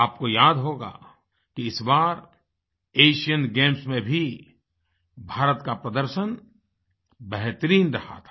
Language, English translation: Hindi, You may recall that even, in the recent Asian Games, India's performance was par excellence